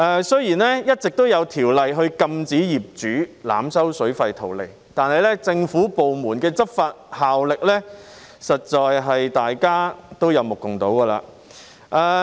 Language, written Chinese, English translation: Cantonese, 雖然一直有法例禁止業主濫收水費圖利，但政府部門的執法效力，大家實在有目共睹。, Although there is legislation prohibiting overcharging of water fees by landlords for profiteering purpose the effectiveness of government departments enforcement is obvious to all